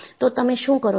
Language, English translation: Gujarati, So, what you do